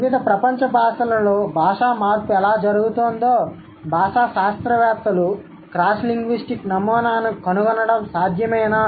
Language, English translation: Telugu, Is it possible for the linguists to find out a cross linguistic pattern how language change is happening in various worlds languages